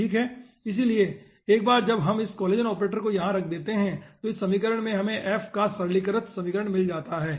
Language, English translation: Hindi, okay, so once we put this collision operator over here in this equation, we get simplified equation of f